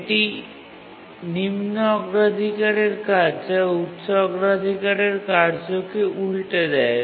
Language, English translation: Bengali, Only the low priority tasks can cause inversion to a higher priority task